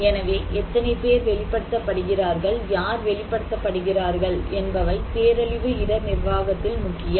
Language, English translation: Tamil, So, how many people are exposed, who are exposed, these are important in disaster risk management